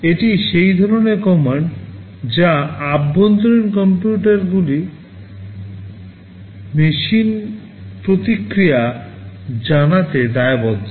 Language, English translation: Bengali, These are the kind of commands that those computing machines inside are responsible to respond to